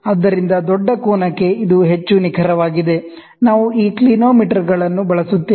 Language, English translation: Kannada, So, this is more precise for a larger angle, we use these clinometers